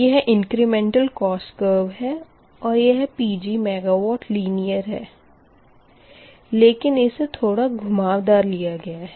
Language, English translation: Hindi, so that is the incremental cost curve and this is pg megawatt, although it is linear